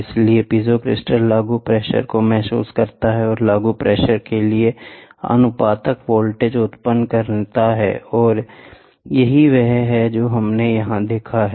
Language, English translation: Hindi, Thus, the piezo crystal senses the applied pressure and generates a voltage proportional to the applied pressure so, this is what is a diagram we saw here